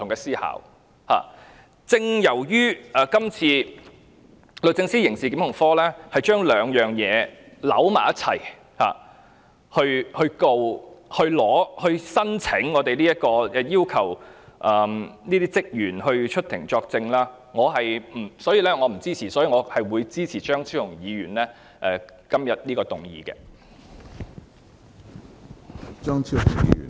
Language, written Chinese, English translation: Cantonese, 正正由於今次律政司刑事檢控科將兩個理由混為一談，對議員作出檢控，並向立法會申請許可讓有關職員出庭作證，所以我不贊同批准許可，我會支持張超雄議員今天提出的議案。, As the Prosecutions Division of DoJ has lumped the two reasons together in laying charges against the Members and in applying for leave of the Legislative Council for the staff members concerned to give evidence in court I therefore do not agree to giving the leave . I will support the motion proposed by Dr Fernando CHEUNG today